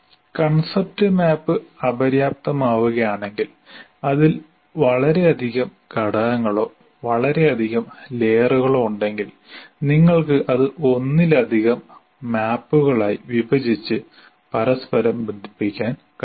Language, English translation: Malayalam, If the concept map becomes unwieldy, there are too many elements, too many layers in that, then you can break it into multiple maps and still link one to the other